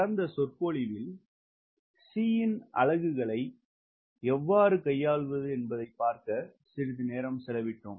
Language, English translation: Tamil, so we spend some time on c so that you know how to handle this problem of units